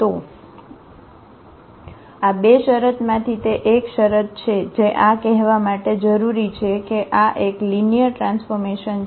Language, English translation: Gujarati, So, that is one conditions for out of these 2 conditions this is one which is required to say that this is a linear transformation